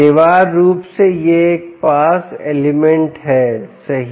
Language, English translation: Hindi, essentially, this is a pass element